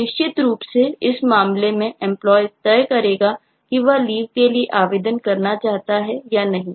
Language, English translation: Hindi, now, certainly the employee in this case will decide whether he or she wants to apply for leave